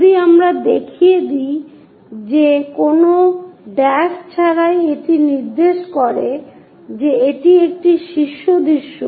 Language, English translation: Bengali, If we are showing that without any’s dashes it indicates that it is a top view